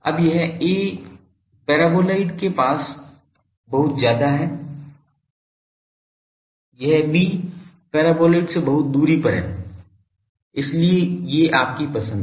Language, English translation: Hindi, Now this A is much nearer to paraboloid this B was much distance from paraboloid so, these are your choices